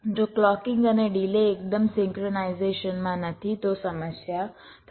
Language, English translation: Gujarati, so if the clocking and delays are not absolutely synchronized there will be problem